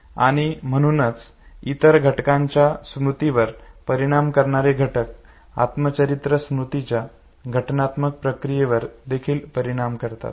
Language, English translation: Marathi, And therefore the factors that affect other forms of memory they are also supposed to affect the organizational process of autobiographical memory